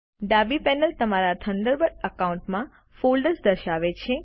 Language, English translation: Gujarati, The left panel displays the folders in your Thunderbird account